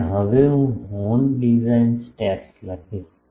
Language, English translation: Gujarati, And, now I will write horn design steps, horn design steps